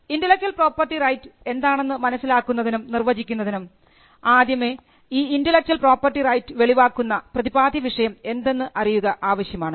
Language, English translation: Malayalam, Now, one of the things in understanding or in defining intellectual property right, is to first understand the subject matter on which the intellectual property right will manifest itself on